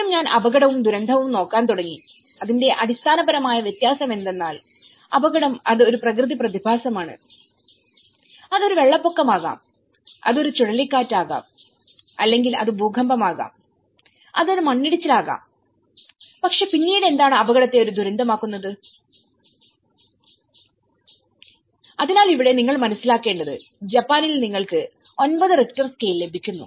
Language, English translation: Malayalam, First, I started looking at hazard and disaster, its a very fundamental difference it is hazard is simply a natural phenomenon it could be a flood, it could be a cyclone or you know, it could be earthquake, it could be a landslide but then what makes hazard a disaster, so here, one has to understand in Japan you are getting 9 Richter scale